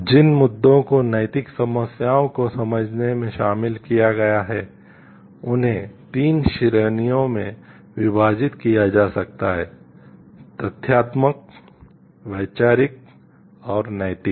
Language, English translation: Hindi, The issues which are involved in understanding ethical problems can be split into 3 categories factual, conceptual and moral